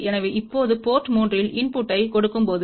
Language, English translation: Tamil, So, when we give a input at port 3 now